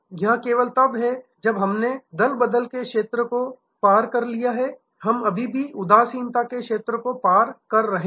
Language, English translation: Hindi, It is only when we have crossed the zone of defection, we are still to cross the zone of indifference